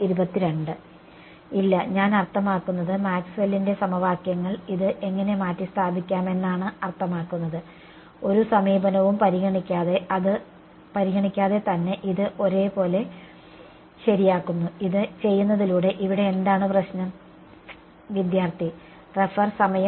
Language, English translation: Malayalam, No, I mean I how can replace it meaning Maxwell’s equations makes this to be identically true regardless of any approximation, what is the problem here by doing this